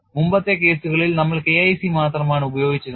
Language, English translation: Malayalam, In the earlier cases we had use only K1 c